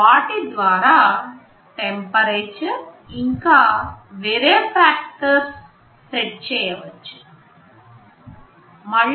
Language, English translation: Telugu, You can set the temperatures and other factors there